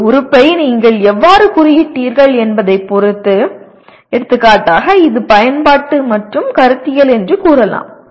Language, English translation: Tamil, Depending on how you tagged an element, for example I say it is Apply and Conceptual